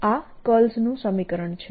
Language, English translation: Gujarati, that's the curl equation